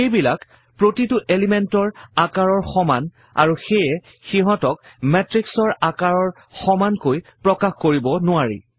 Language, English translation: Assamese, They are of the same size as each element, and hence are not scalable to the size of the matrix